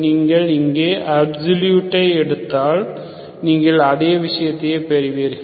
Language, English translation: Tamil, So if you absolute here, you get the same thing